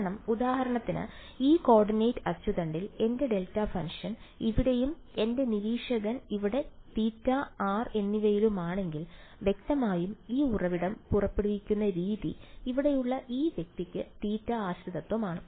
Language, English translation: Malayalam, Because if for example, in this coordinate axis if my delta function is over here and my observer is over here at theta and r then; obviously, the way this source is emitting there is a theta dependence for this guy over here